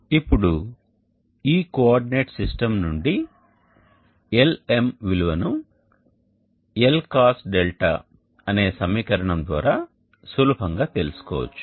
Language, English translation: Telugu, Now from this coordinate system we can easily reduce that Lm=Lcos of this angle d and cos